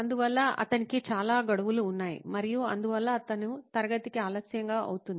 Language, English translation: Telugu, So he has way too many deadlines and hence he is late to class